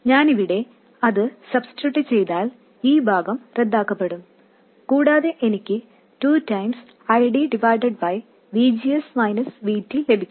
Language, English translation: Malayalam, And if I substitute that in here, this part will get cancelled out and I will get 2 times ID divided by VGS minus VT